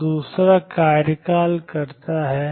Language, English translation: Hindi, So, does the second term